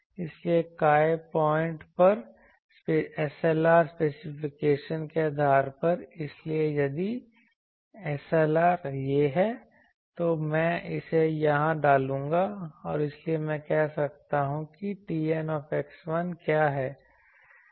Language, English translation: Hindi, So, at work point based on the SLR specification, so if SLR is this, then I will put it here and hence I can say what is T N x 1